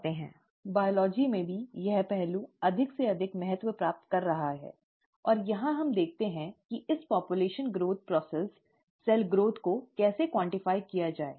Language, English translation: Hindi, In biology too, this aspect is gaining more and more importance, and here, let us see how to quantify this population growth process, cell growth